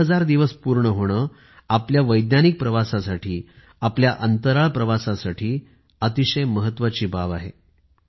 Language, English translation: Marathi, The completion of one thousand days, is an important milestone in our scientific journey, our space odyssey